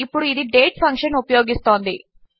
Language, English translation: Telugu, Now, this is using the date function